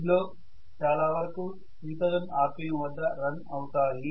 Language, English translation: Telugu, So they will normally run at 3000 rpm